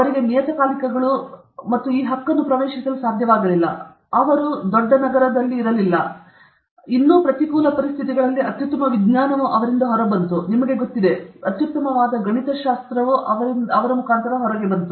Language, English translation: Kannada, He did not have access to journals and this right, and then, he was not in a big city and all that, but still under this adverse conditions the best science came out of him, you know, the best mathematics came out of him okay